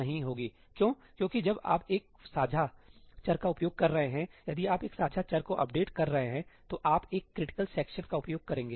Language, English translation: Hindi, Why because when you are accessing a shared variable, if you are updating a shared variable, you will use a critical section